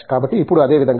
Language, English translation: Telugu, So, now I mean in the same token